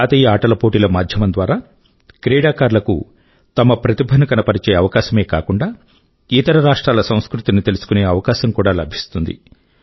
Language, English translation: Telugu, We all know that National Games is an arena, where players get a chance to display their passion besides becoming acquainted with the culture of other states